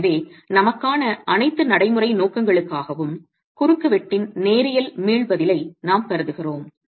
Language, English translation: Tamil, So for all practical purposes, with the, for us we are assuming linear elastic response of the cross section